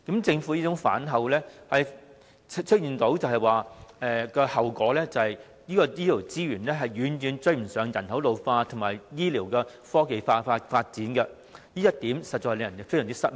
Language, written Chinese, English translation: Cantonese, 政府反口的結果是醫療資源遠不足以應付人口老化及醫療科技的發展，這一點實在令人感到非常失望。, As a result of the Governments broken promise the healthcare resources are far from being sufficient to cope with an ageing population and the development of medical technology . This is indeed greatly disappointing